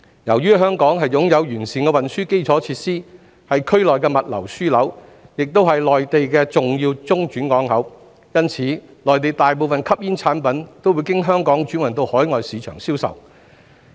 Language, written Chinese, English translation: Cantonese, 由於香港擁有完善的運輸基礎設施，是區內的物流樞紐，亦是內地重要的中轉港口，因此，內地大部分吸煙產品都會經香港轉運到海外市場銷售。, With comprehensive transport infrastructure Hong Kong is a logistics hub in the region and an important transhipment port for the Mainland . Hence most of the Mainlands smoking products are transhipped to overseas markets for sale via Hong Kong